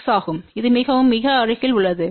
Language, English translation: Tamil, 6 which is very, very close to that